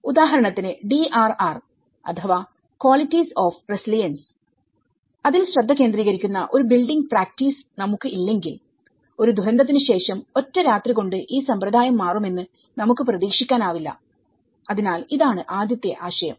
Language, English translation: Malayalam, For instance, if we don’t have a building practice that focuses on the DRR or the qualities of resilience, we can scarcely hope to turn the practice around overnight after a disaster, so this is the first concept